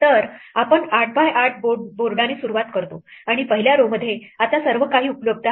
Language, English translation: Marathi, So, we start with an 8 by 8 board and in the first row now everything is available